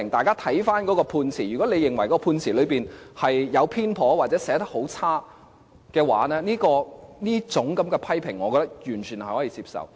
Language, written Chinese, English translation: Cantonese, 如果有人認為判詞有所偏頗，或是寫得很差的話，這一種批評，我認為完全是可以接受的。, If someone thinks a verdict is biased and has been poorly written I think as far as this kind of criticism is concerned it is completely acceptable